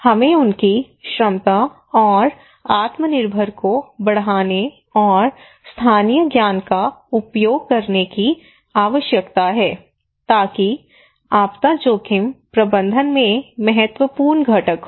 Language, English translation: Hindi, We need to enhance, empower their capacity so self reliance and using a local knowledge are critical component in disaster risk management